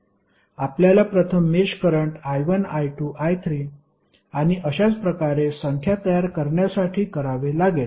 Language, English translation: Marathi, You have to assign first mesh currents I1, I2, I3 and so on for number of meshes